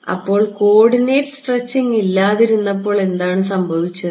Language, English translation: Malayalam, So, when there was no coordinate stretching, what happened